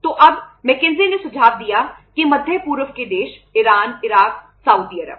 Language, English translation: Hindi, So then McKenzie suggested that Middle East countries Iran, Iraq, Saudi Arabia